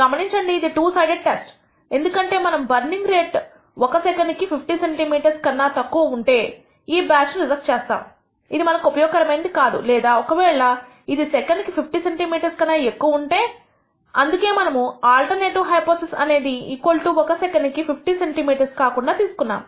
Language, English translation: Telugu, Notice, it is a two sided test because we want to reject this batch if the burning rate is less than 50 centimeter per second it is not useful to us or if its greater than 50 centimeter per second that is why we have taken the alternative to be not equal to 50 centimeter per second